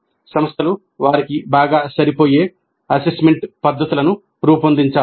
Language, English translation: Telugu, Institutes need to evolve assessment methods best suited for them